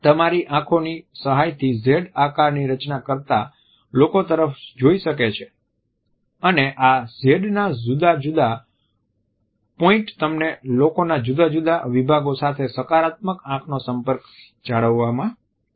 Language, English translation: Gujarati, With the help of the eyes you try to gaze at the people making a Z and different points of this Z would allow you to maintain a positive eye contact with different sections of the people